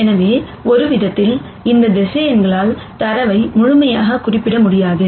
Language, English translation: Tamil, So, in some sense the data cannot be completely represented by these vectors